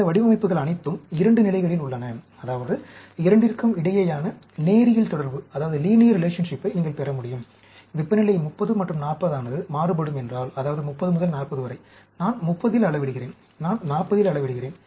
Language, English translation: Tamil, All these designs are at 2 levels, that means, you can get a linear relationship between, if temperature varies from 30 and 40, 30 to 40, I am measuring at 30, I am measuring at 40